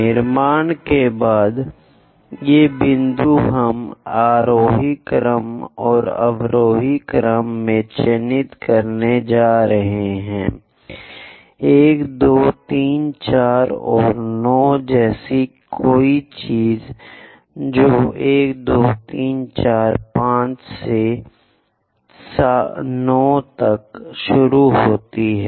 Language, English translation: Hindi, After construction, these points we are going to mark in the ascending order and in the descending order; something like 1, 2, 3, 4 and so on 9, then 1 begins 2, 3, 4, 5 all the way to 9